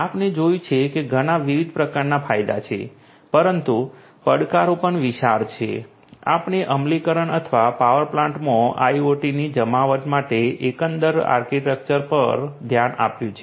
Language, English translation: Gujarati, We have seen that there are many many different types of benefits, but the challenges are also huge, we have also looked at the overall architecture for the implementation or the deployment of IoT in the power plants